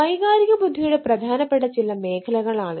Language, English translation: Malayalam, ah, which aspect of emotional intelligence it is